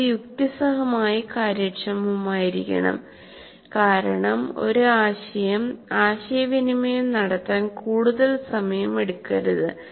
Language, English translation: Malayalam, And it should be reasonably efficient because it should not take a lot of time to communicate one concept